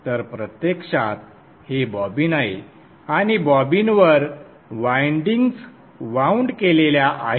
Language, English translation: Marathi, So actually this is a bobbin and on the bobbin the windings are wound